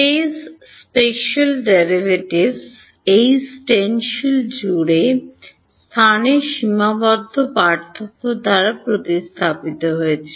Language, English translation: Bengali, Space special derivatives has replaced by finite differences in space across this stencil